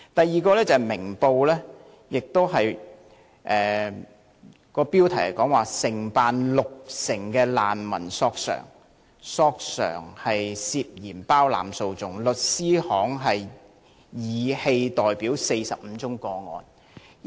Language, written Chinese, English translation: Cantonese, 此外，《明報》亦曾有一篇報道，標題是"承辦六成難民索償被疑涉包攬訴訟律師行申棄代表45個案獲批"。, Moreover there was also a news report in Ming Pao Daily News entitled Law firm suspected of champerty for undertaking 60 % refugee compensation claims granted approval to cease acting for client in 45 cases